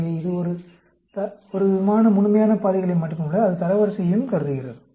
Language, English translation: Tamil, So, it considers not only some sort of the absolute values, as well as it considers the rank